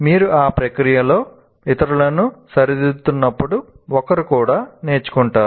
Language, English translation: Telugu, When you are correcting others in that process also, one would learn